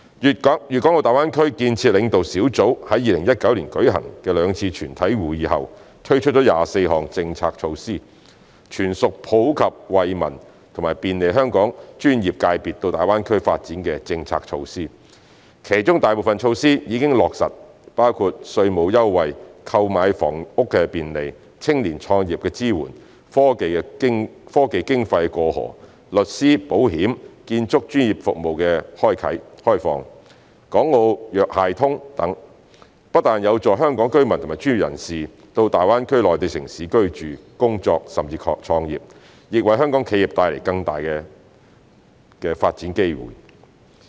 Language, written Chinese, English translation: Cantonese, 粵港澳大灣區建設領導小組於2019年舉行的兩次全體會議後，推出24項政策措施，全屬普及惠民及便利香港專業界別到大灣區發展的政策措施，其中大部分措施已經落實，包括稅務優惠、購買房屋便利、青年創業支援、科技經費"過河"、律師、保險和建築專業服務開放、"港澳藥械通"等，不但有助香港居民和專業人士到大灣區內地城市居住、工作，甚至創業，亦為香港企業帶來更大的發展機會。, After the two plenary meetings of the Leading Group for the Development of the Guangdong - Hong Kong - Macao Greater Bay Area held in 2019 24 policy measures were introduced to benefit people from all walks of life and facilitate the development of various Hong Kongs professional sectors in GBA . Most of these measures have been put into implementation eg . tax concessions facilitation of property purchase support for young entrepreneurs cross - boundary remittance of science and technology funding liberalization of legal insurance and construction professional services and use of Hong Kong - registered drugs and medical devices which are used in Hong Kong public hospitals with urgent clinical use at designated healthcare institutions operating in GBA